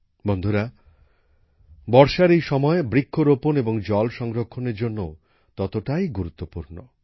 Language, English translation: Bengali, Friends, this phase of rain is equally important for 'tree plantation' and 'water conservation'